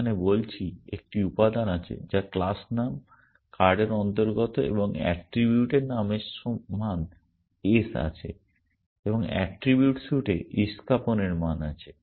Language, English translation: Bengali, Here I am saying there is an element which belongs to the class name card and the attribute name has value ace and the attribute suit has value spade essentially